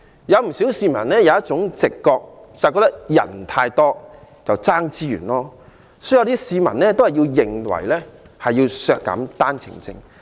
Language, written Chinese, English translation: Cantonese, 不少市民有一種直覺，就是覺得太多人爭奪資源，有些市民便認為要削減單程證配額。, Many people have held the instinctive perception that far too many people are competing for resources and hence some consider that OWP quota should be reduced